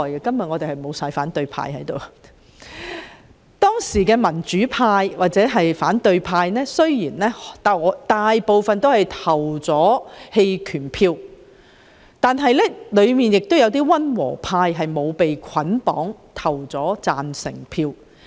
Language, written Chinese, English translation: Cantonese, 當時，儘管大部分民主派或反對派議員均投了棄權票，但亦有一些溫和派議員沒有被捆綁而投下贊成票。, Although most of the Members of the pro - democracy or opposition camp abstained from voting then some moderate Members were not bundled up and voted in favour of the proposed arrangements